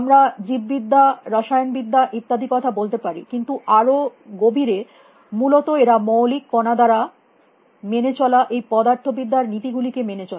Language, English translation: Bengali, We may talk about biology or chemistry and so on, but deep down they obey these laws of physical is fundamental particles obeyed essentially